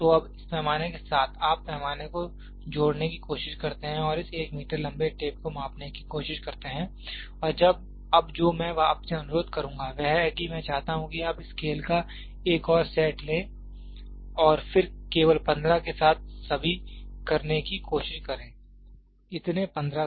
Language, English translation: Hindi, So, now, with this scale you try to add up the scale and try to measure this one meter long tape and now what I would request you is I want you to take another set of scales and then try to have all with only 15, so many 15s